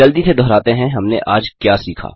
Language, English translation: Hindi, Lets revise quickly what we have learnt today